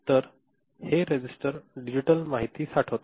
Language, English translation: Marathi, So, this register stores the digital information right